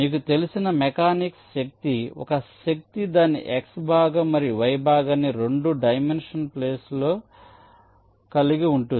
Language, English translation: Telugu, so a force, you know, even if you are a mechanic a force will be having its x component and y component in a two dimension plane